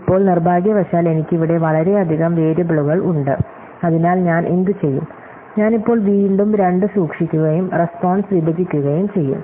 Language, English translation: Malayalam, Now, again I have unfortunately too many variables here, so what I will do is, I will now again keep two and split the response